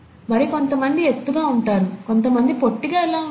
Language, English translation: Telugu, And how is it that some people are taller, while some people are shorter